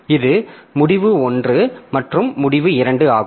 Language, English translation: Tamil, So, this is end one and this is end two